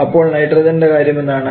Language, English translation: Malayalam, This is nitrogen